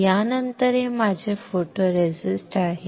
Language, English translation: Marathi, After this, this is what my photoresist